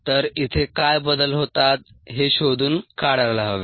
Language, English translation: Marathi, so we need to find out what changes here